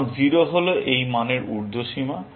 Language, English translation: Bengali, Now, 0 is the upper bound on this value